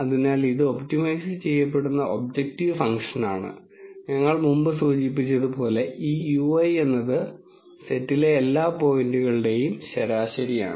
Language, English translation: Malayalam, So, this is the objective function that is being optimized and as we have been mentioned mentioning before this mu i is a mean of all the points in set s i